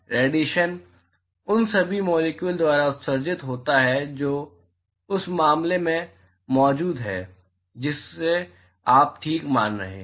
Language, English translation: Hindi, The radiation is emitted by all the molecules which is present in the matter that you are considering ok